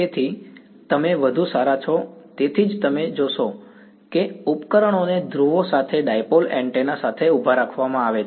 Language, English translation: Gujarati, So, you are better off that is why you will find that the devices are kept with the poles with the dipole antennas standing vertical